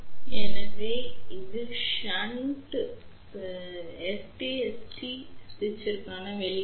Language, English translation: Tamil, So, this is the expression for shunt SPST switch